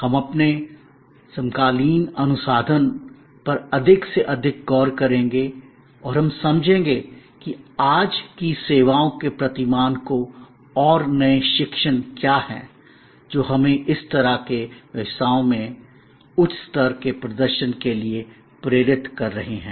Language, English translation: Hindi, We will focus more and more on our contemporary research and how we understand today’s paradigm of services and what are the new learning's, that are leading us to higher level of performance in these kind of businesses